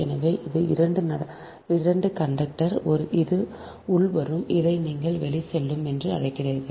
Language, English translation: Tamil, so this is two conductor, this is incoming, this is your, what you call outgoing